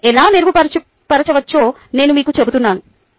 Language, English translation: Telugu, i am going to tell you how it can be improved